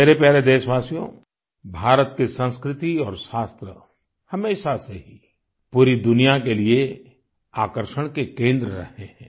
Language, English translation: Hindi, India's culture and Shaastras, knowledge has always been a centre of attraction for the entire world